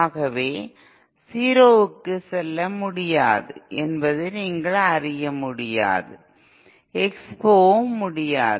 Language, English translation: Tamil, So it cannot either you know that little cannot go down to 0, neither can it expo